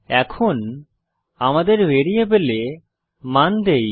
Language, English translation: Bengali, Now lets give values to our variables